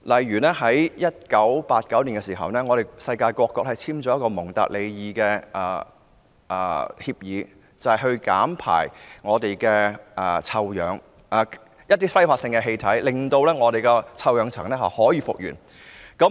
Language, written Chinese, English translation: Cantonese, 1989年世界各國簽訂了《蒙特利爾議定書》，規定減少排放揮發性氣體，令臭氧層得以復原。, In 1989 various countries in the world signed the Montreal Protocol to phase out the emission of volatile gases so that the ozone layer could be repaired